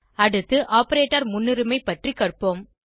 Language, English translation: Tamil, Next, let us learn about operator precedence